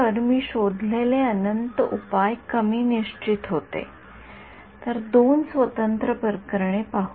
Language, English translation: Marathi, So, infinite solution that I found is undetermined, let us look at two separate cases ok